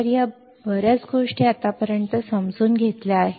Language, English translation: Marathi, So these much things we have understood till now